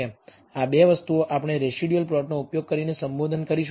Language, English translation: Gujarati, These 2 things we will address using residual plots